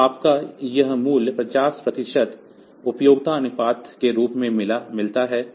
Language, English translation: Hindi, So, you get this value as the as a 50 percent duty cycle